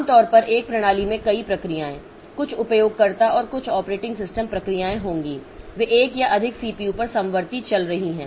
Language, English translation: Hindi, Typically a system will have many processes, some user and some operating system processes they are running concurrently on one or more CPU